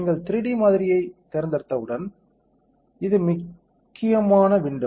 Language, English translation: Tamil, Once you select 3D model, this is the most important window